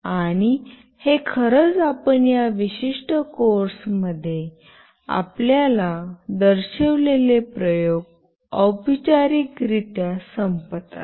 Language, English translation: Marathi, And this actually ends formally the experiments that we have shown you in this particular course